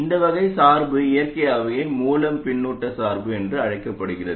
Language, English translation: Tamil, And this type of biasing naturally is known as source feedback bias